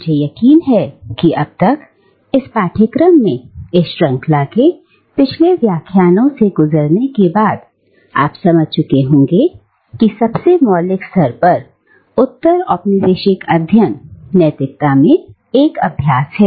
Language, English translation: Hindi, Now, I am sure that by now, after going through the previous lectures in this series in this course, you have realised that at the most fundamental level, postcolonial studies is an exercise in ethics